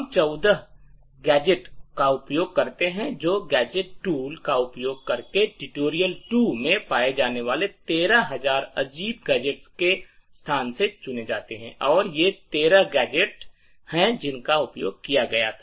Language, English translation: Hindi, The gadgets that we use are actually, there are 14 of them, picked from this space of the 13,000 odd gadgets which are found in tutorial 2 using the gadget tool and these are the 13 gadgets which were used